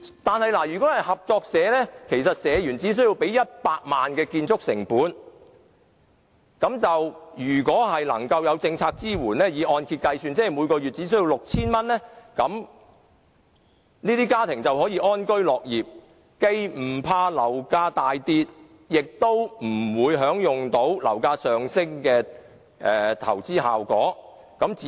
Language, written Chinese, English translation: Cantonese, 但是，如果是合作社房屋，社員只須支付100萬元的建築成本，若有政府政策支援，這些家庭每月只須繳付按揭供款 6,000 元，便可以安居樂業，既無須害怕樓價大跌，也不會享有樓價上升的投資效益。, However in respect of cooperative housing members of a cooperative society only need to pay 1 million as construction cost . With the support of government policies if any these households only need to pay a mortgage payment of 6,000 a month and then they can live in contentment . While they do not have to fear the plummeting of property price they will not enjoy the investment benefit of a rise in property price